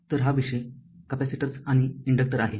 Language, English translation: Marathi, Ok, so let us come to this topic capacitors and inductor